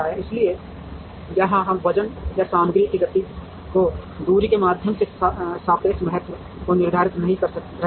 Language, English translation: Hindi, So, here we are not quantifying the relative importance through, the weight or material movement and the distance